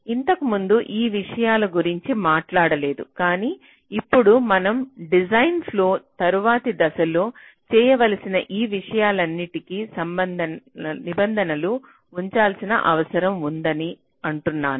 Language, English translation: Telugu, so this earlier we did not talk about all these things, but now we are saying that we need to keep provisions for all these things which need to be added in later stages of the design flow